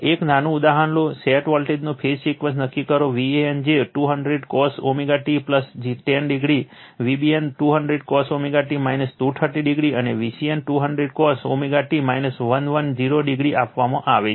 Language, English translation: Gujarati, Take a small example, determine the phase sequence of the set voltages, V a n is given 200 cos omega t plus 10 degree, V b n 200 cos omega t minus 230 degree, and V c n 200 cos omega t minus 110 degree 110 degree right